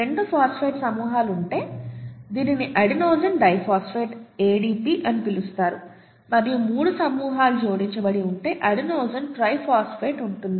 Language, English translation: Telugu, If you have 2 phosphate groups then this is called adenosine diphosphate, adenosine diphosphate, okay, ADP and if you have 3 phosphate groups attached you have adenosine triphosphate